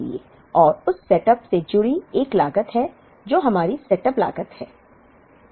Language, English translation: Hindi, And there is a cost associated with that setup, which is our setup cost